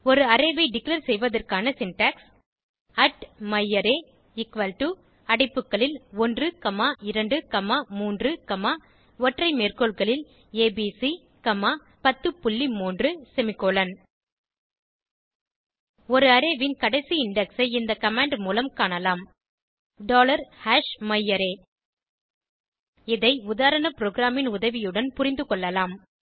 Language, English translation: Tamil, The syntax for declaring an array is @myArray equal to open bracket 1 comma 2 comma 3 comma single quote abc single quote comma 10.3 close bracket semicolon The last index of an array can be found with this command $#myArray Let us understand this using sample program